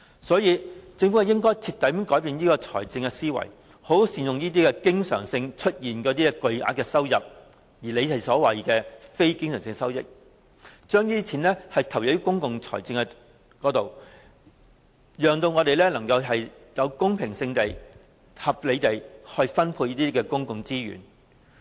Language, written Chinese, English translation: Cantonese, 所以，政府應徹底改變這種財政思維，好好善用這些經常出現的巨額收入，即它所說的非經常性收入，將之投放到公共財政開支之上，冀能公平和合理地分配公共資源。, Hence there should be a paradigm shift in the Governments fiscal management . It should make good use of such huge and frequent revenues or non - recurrent revenues in the words of the Government . It should use such revenues for meeting public expenditure so as to achieve a fair and reasonable distribution of public resources